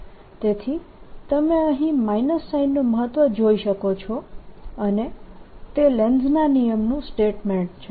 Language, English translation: Gujarati, so you see the importance of that minus sign out here, and that is the statement of lenz's law